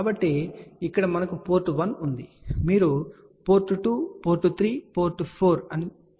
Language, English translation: Telugu, So, here we have a port 1 you can say port 2, port 3, port 4